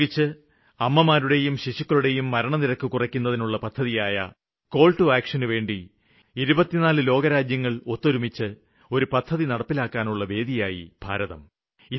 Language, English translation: Malayalam, 24 countries from across the globe discussed on the Indian soil a 'Call to Action' to reduce Maternal Mortality and Infant Mortality rates